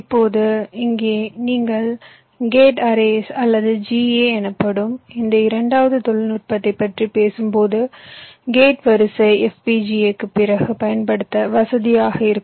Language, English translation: Tamil, now now here, when you talking about this second technology called gate arrays or ga, gate array will be little less flexible then fpga, but its speed will be a little higher